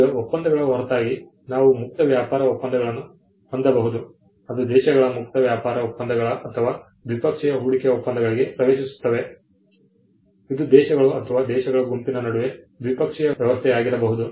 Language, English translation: Kannada, Now, apart from the treaties, we also have free trade agreements which countries enter into free trade agreements or bilateral investment treaties, can be bilateral arrangement between countries or a group of countries